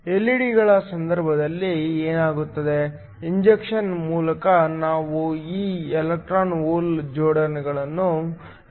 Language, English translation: Kannada, What happens in the case of LED's, by means of injection we create these electron hole pairs